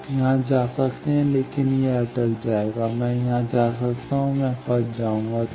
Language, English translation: Hindi, You can go here, but then it will stuck; I can go here I will get stuck